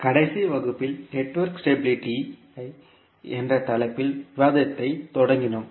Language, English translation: Tamil, So in the last class, we started the, our discussion on, the topic called Network Stability